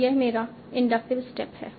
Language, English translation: Hindi, So, this is my inductive step